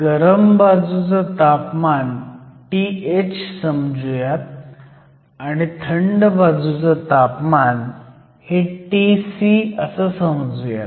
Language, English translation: Marathi, So, let us say the temperature of the hot end is T h, temperature of the cold end T c